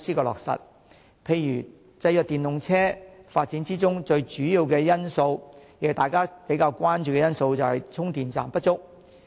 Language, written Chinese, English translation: Cantonese, 例如，制約電動車發展的其中一個主要因素，也是大家比較關注的因素，就是充電站不足。, For example one of the major reasons hindering the development of EVs which is also most concerned by people is the shortage of charging stations